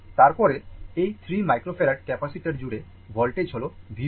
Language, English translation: Bengali, Then, voltage across these 3 microfarad capacitor is V 4